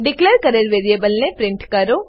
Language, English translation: Gujarati, Print the variable declared